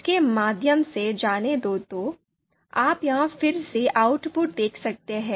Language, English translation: Hindi, So you can see the output here again